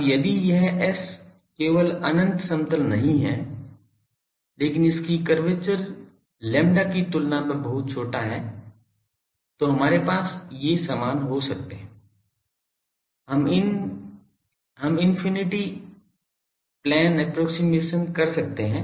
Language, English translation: Hindi, Now, if this S is not only infinite plane, but it is curvature is much smaller than the lambda then we can have these same we can infinite plane approximation holds